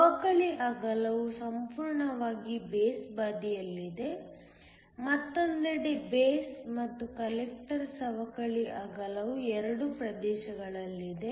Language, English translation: Kannada, The depletion width is almost entirely on the base side, on the other hand the base and the collector the depletion width is in both regions